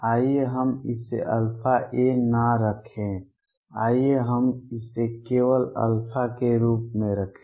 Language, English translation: Hindi, Let us not keep it alpha a let us just keep it as alpha